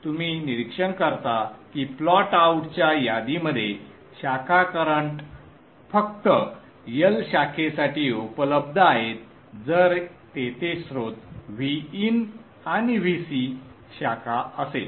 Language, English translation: Marathi, You observe that the branch currents are available in the list of plot outs only for L branch if there is a source V In and V C branch